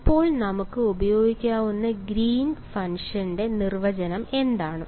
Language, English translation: Malayalam, So now, what is the definition of Green’s function now that we will that we can use